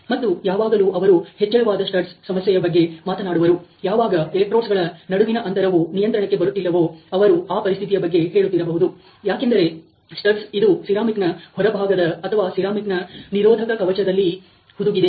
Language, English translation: Kannada, And when they are talking about the problem of the raised studs they must be referring to a situation when the gap between the electrodes is uncontrollable, because of the way that the stud is embedded into this ceramic outer or the ceramic insulation housing which has been shown here ok